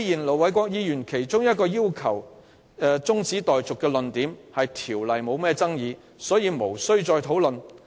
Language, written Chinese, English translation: Cantonese, 盧偉國議員動議中止待續議案的論點是《公告》不具爭議性，所以無需再討論。, Ir Dr LO Wai - kwoks argument for the adjournment motion is that the Notice itself is not controversial thus no more discussion is needed